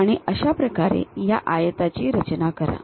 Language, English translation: Marathi, In that way construct this rectangle